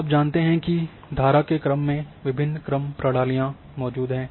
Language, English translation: Hindi, You know that in stream ordering there are a different ordering system exists